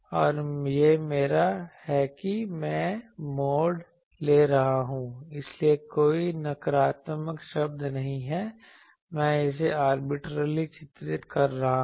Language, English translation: Hindi, And this is my I am taking the mod, so there is no negative term, I am arbitrarily drawing it this arbitrary